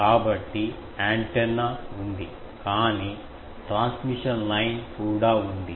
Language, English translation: Telugu, So, there is an antenna but also there is a transmission line